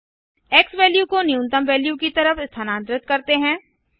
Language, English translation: Hindi, Lets move the xValue towards minimum value